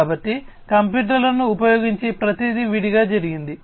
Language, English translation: Telugu, So, everything was done separately using computers